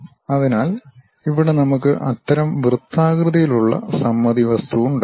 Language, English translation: Malayalam, For example, we have this object; this is circular symmetric